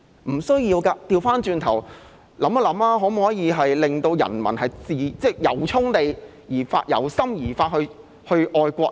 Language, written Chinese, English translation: Cantonese, 不需要這樣的，可否反過來令人民由衷地、由心而發地去愛國呢？, No there is no need to do so . Can we instead make people patriotic from the bottom of their heart?